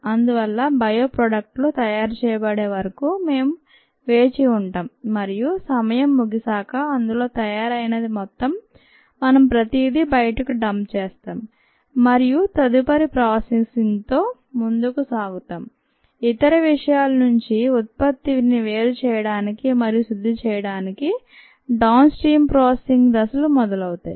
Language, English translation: Telugu, therefore, we wait for the bio products to be made and at the end of the time we dump everything out and proceed with further processing, the downstream processing steps to separate and purify the product from the other things